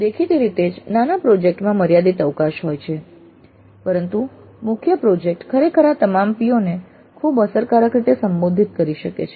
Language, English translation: Gujarati, Many projects have evidently limited scope but the major project can indeed address all these POs quite effectively